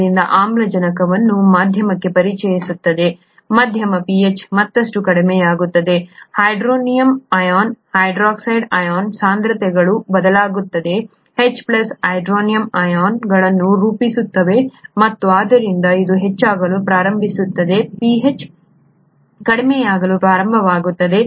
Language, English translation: Kannada, When acid is introduced into the medium by the cell, the medium pH goes down further, the hydronium ion, hydroxide ion concentrations vary; H plus which forms hydronium ions and therefore this starts going up, the pH starts going down